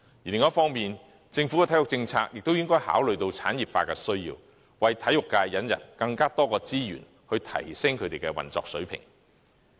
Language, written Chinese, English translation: Cantonese, 另一方面，政府的體育政策亦應該考慮到產業化的需要，為體育界引入更多資源，以提升運作水平。, Meanwhile the Government should take into consideration the need for industrialization when formulating sports policy and bring more resources into the sector to enhance its operation